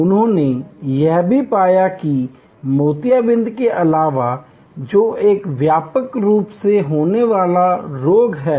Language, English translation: Hindi, He also found that besides cataract, which is a widely occurring melody